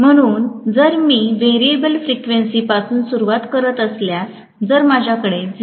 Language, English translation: Marathi, So if I do a variable frequency starting, if I have variable frequency starting with 0